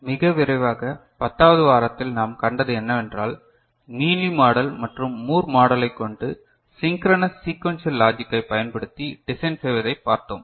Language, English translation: Tamil, Very quickly, what we saw in week 10 is how we use Mealy model and Moore model to design synchronous sequential logic circuit